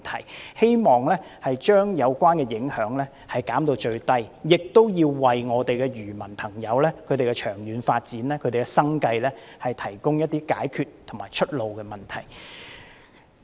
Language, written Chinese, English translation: Cantonese, 我們希望政府將有關的影響減至最低，亦要為漁民的長遠發展和生計問題提供解決方案和出路。, We hope that the Government will minimize the relevant impacts and provide solutions and alternatives for the long - term development and livelihood of fishermen